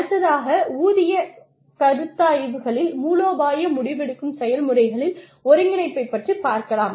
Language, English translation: Tamil, The next is integration of pay considerations into strategic decision making processes